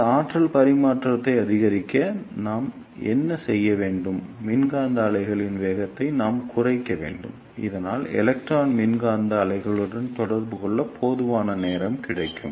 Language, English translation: Tamil, And to increase this energy transfer, what we need to do, we need to decrease the velocity of electromagnetic wave, so that electron can get enough time to interact with the electromagnetic wave